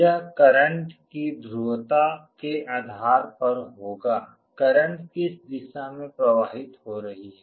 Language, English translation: Hindi, This will happen depending on the polarity of the current, which direction the current is flowing